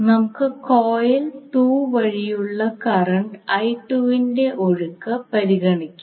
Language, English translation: Malayalam, Now let us consider the current I 2 flows through coil 2